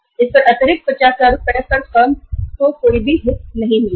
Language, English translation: Hindi, On this extra 50,000 Rs firm will not get any interest right